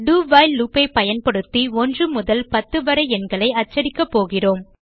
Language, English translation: Tamil, We are going to print the numbers from 1 to 10 using a do while loop